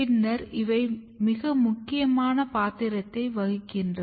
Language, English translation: Tamil, And then later on they play very important role